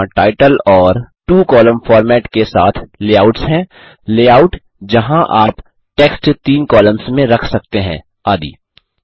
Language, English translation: Hindi, There are layouts with titles and two columnar formats, layouts where you can position text in three columns and so on